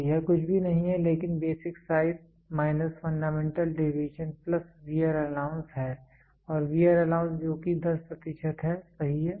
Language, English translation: Hindi, So, this is nothing, but basic size minus fundamental deviation plus wear allowance wear allowance is what it is 10 percent, right